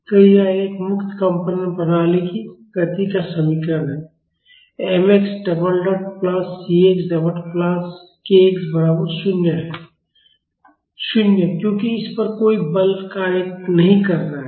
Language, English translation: Hindi, So, this is the equation of motion of a free vibration system, m x double dot plus cx dot plus kx is equal to 0; 0, because there is no forces acting on this